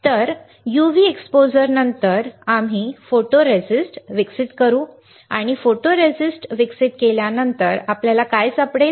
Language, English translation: Marathi, So, after UV exposure, we will develop the photoresist and what we will find after developing the photoresist